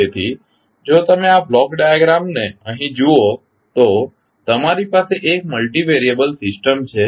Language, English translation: Gujarati, So, if you see this block diagram here you have one multivariable system